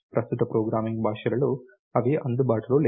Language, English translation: Telugu, Clearly these are not available in current day programming languages